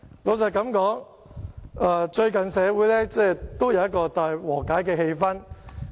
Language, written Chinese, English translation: Cantonese, 老實說，最近社會有一個大和解的氣氛。, Frankly speaking there is a social atmosphere seeking for reconciliation lately